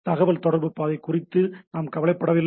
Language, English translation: Tamil, We are not bothered about the communication path